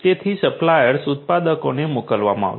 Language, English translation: Gujarati, So, suppliers which are going to be sent to the manufacturers